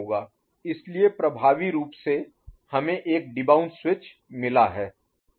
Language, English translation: Hindi, So, effectively we have got a debounce switch